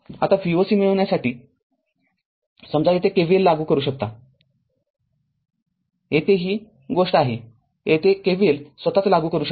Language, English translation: Marathi, Now to get V o c to get V o c suppose I can apply KVL here itself here, I can apply k your k this thing your KVL here itself